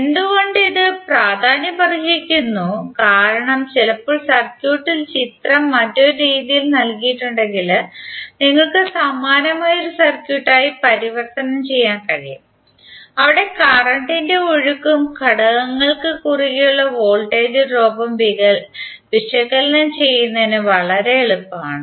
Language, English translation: Malayalam, Why it is important because sometimes in the circuit if it is given a the figure is given in a different way you can better convert it into a similar type of a circuit where it is very easy to analysis the current flow and the voltage drop across the element